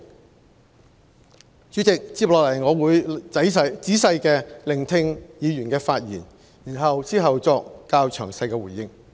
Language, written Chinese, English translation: Cantonese, 代理主席，接下來我會細心聆聽議員的發言，然後作較詳細回應。, Deputy President I will now listen to Members speeches carefully before making response in greater detail